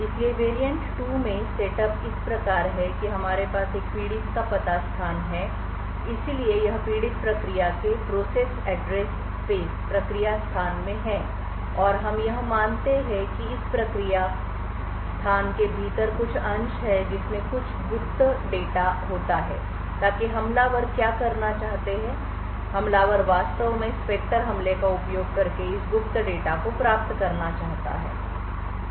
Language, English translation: Hindi, So the set up in the variant 2 is as follows we have a victim's address space so this is in an process address space off the victim and what we assume is that there is some portions of within this process space which has some secret data so what the attackers wants to do is that the attack a wants to actually obtain this secret data using the Spectre attack